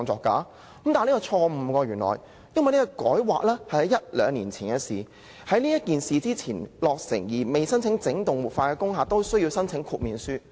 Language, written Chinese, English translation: Cantonese, 但是，原來這是錯誤的，因為這項分區計劃大綱圖修訂是兩年前的事，在此改劃前落成而未申請整幢活化的工廈，都需要申請豁免書。, But it turns out that this is not the case . Amendments were introduced to some Outline Zoning Plans two years ago . Any industrial buildings which have not applied for wholesale revitalization before the amendments are required to apply for a waiver to conduct these activities